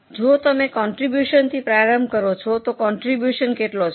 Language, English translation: Gujarati, So, if you start from contribution, how much is a contribution